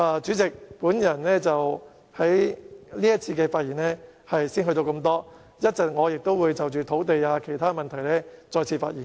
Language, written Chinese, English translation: Cantonese, 主席，我在這節辯論的發言到此為止，我稍後也會就土地等其他問題再次發言。, President I shall stop here in this debate session . I will speak again on other issues such as land and so on later in the meeting